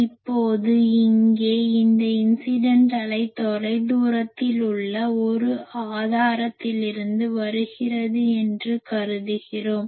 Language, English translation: Tamil, Now, here we are assuming that this incident wave is coming from a source which is at the far field